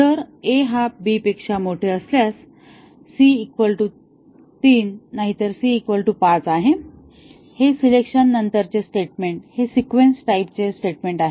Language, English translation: Marathi, We have if a greater than b, c is 3 else c is equal to 5 and this is the statement sequence type of statement following the selection